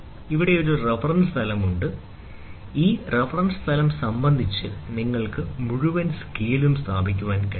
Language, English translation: Malayalam, So, here is a reference plane, you can place the entire scale with respect to this reference plane